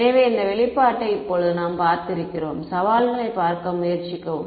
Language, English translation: Tamil, So, we have seen this expression before now when I now let us just try to look at the challenges